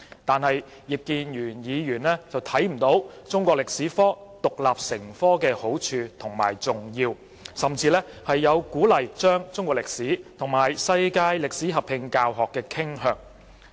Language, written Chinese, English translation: Cantonese, 但是，葉議員看不到中史科獨立成科的好處和重要，甚至有鼓勵將中史與世界歷史合併教學的傾向。, However Mr IP fails to see the merits and importance of teaching Chinese history as an independent subject and he even tends to encourage combining Chinese History and World History as one subject